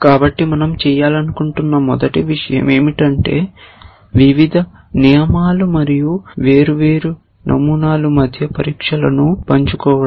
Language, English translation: Telugu, So, the first thing that we would like to do is to share the tests the different rules are doing and different patterns are doing